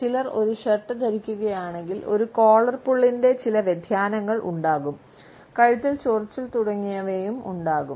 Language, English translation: Malayalam, If they are wearing a shirt, you would find that some type, some variation of a collar pull would be there, some scratching of the neck, etcetera would also be there